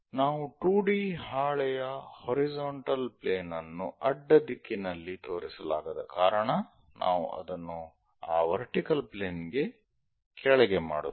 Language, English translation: Kannada, Because we cannot show horizontal plane in the horizontal direction of a 2D sheet we make it below that vertical plane